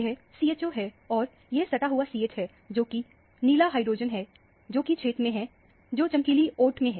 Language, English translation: Hindi, This is CHO and this is the adjacent CH, which is the blue hydrogen, which is in the radiant shaded region